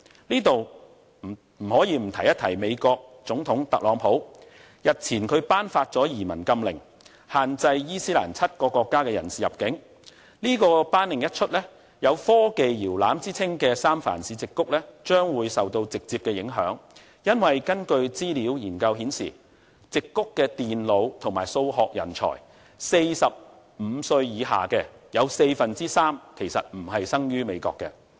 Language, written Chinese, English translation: Cantonese, 我在此不得不提及美國總統特朗普，日前他頒發了移民禁令，限制7個伊斯蘭國家的人士入境，這項頒令一出，將會令有科技搖籃之稱的三藩市矽谷受到直接的影響，因為根據資料研究顯示，矽谷的電腦和數學人才、45歲以下的人士，有四分之三其實並非生於美國。, Several days ago he issued a travel ban on citizens from seven Islamic countries . The ban will directly impact the Silicon Valley the cradle of technology in San Francisco . It is because according to research data three quarters of all computer and mathematic professionals in the Silicon Valley aged under 45 are not born in the United States